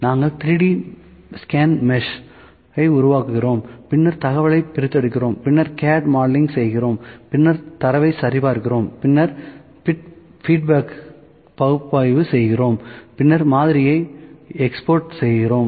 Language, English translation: Tamil, We create 3D scan mesh, then extract the information, then CAD modeling, then verify the data, then analyzing the feedback, then exporting to the model